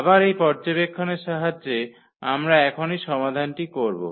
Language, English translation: Bengali, Again, with this observation we will fix the solution now